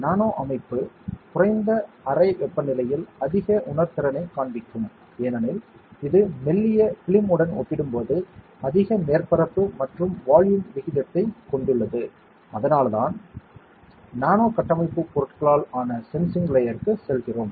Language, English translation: Tamil, The nano structure would show a higher sensitivity at a lowered room temperature because it has a higher surface to volume ratio compared to thin films, and that is why we go for a sensing layer which is made up of nano structure materials